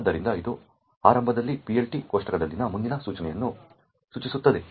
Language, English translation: Kannada, So, this initially points to the next instruction in the PLT table